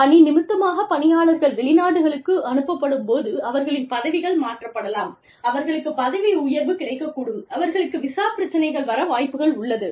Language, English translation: Tamil, When people are sent abroad on assignments, they may change positions, they may get promoted, they may have visa issues